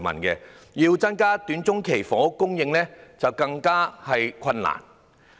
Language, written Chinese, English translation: Cantonese, 要增加短中期房屋供應，更為困難。, The goal of increasing housing supply in the short - to - medium term is even harder to achieve